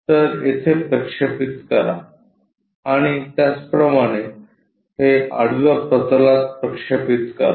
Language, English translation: Marathi, So, project here, similarly project it onto horizontal